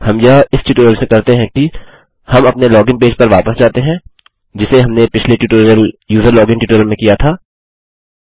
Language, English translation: Hindi, The way we do this is, we go back to our login page, which we covered in the previous tutorial the userlogin tutorial